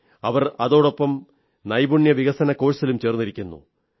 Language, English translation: Malayalam, Along with this, they are undergoing a training course in skill development